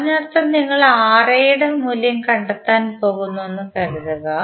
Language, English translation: Malayalam, That means suppose you are going to find out the value of Ra